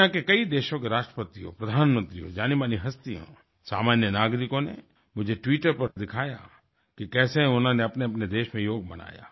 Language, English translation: Hindi, The Presidents, Prime Ministers, celebrities and ordinary citizens of many countries of the world showed me on the Twitter how they celebrated Yoga in their respective nations